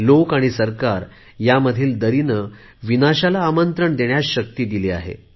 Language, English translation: Marathi, The chasm between the governments and the people leads to ruin